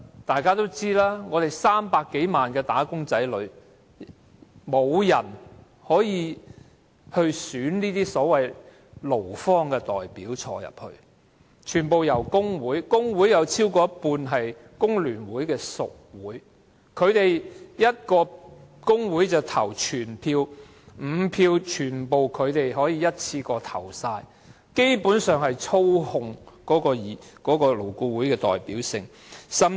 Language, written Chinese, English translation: Cantonese, 勞方代表不是由300多萬名"打工仔女"中選出，而是全部由工會投票產生，而工會有超過一半是工聯會的屬會，一個工會投一票，就可以選出全部5名勞方代表，基本上操控了勞顧會的代表性。, The employee representatives are not elected by the 3 - odd million wage earners but by trade unions by ballot . Given that more than half of the trade unions are FTUs member unions they can elect all the five employee representatives by one - union - one - vote and basically manipulate the representativeness of LAB